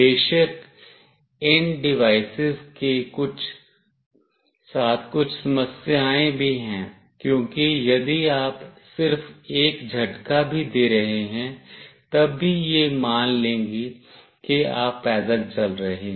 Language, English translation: Hindi, Of course, there are some issues with these devices as well, because if you are just having a jerk, then also it will assume that you are walking